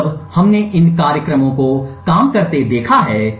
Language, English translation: Hindi, Now that we have seen these programs work